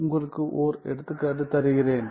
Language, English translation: Tamil, So, I will show you with an example